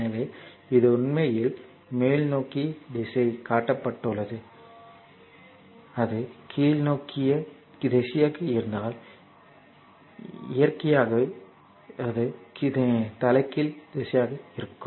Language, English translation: Tamil, So, this is actually your upward direction is shown, if it is downward direction then naturally it will be reversal direction will be in other way so, this is the meaning that your upward